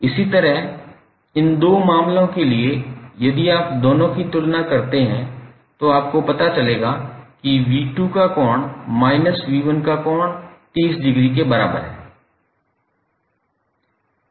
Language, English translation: Hindi, Similarly for these two cases if you compare both of them, again you will come to know the angle of V2 minus V1 is equal to 30 degree